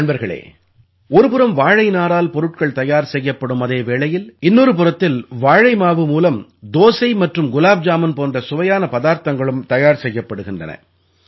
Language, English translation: Tamil, Friends, on the one hand products are being manufactured from banana fibre; on the other, delicious dishes like dosa and gulabjamun are also being made from banana flour